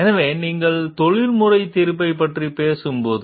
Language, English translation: Tamil, So, when you talk of exercising professional judgment